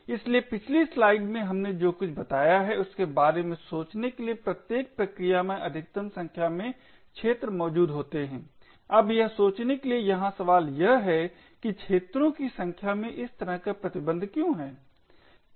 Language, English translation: Hindi, So, something to think about we mentioned in the previous slide that each process has a maximum number of arenas that are present, now the question over here to think about is why is there such a restriction in the number of arenas